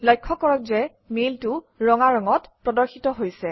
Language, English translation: Assamese, Notice that the mail is displayed in the colour red